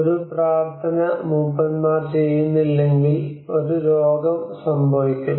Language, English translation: Malayalam, If a prayer is not intoned by the elders, a sickness will occur